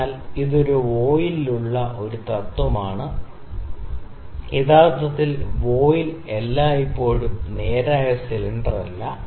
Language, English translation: Malayalam, So, this is a principle for a voile, actually the voile is not always is not a straight cylinder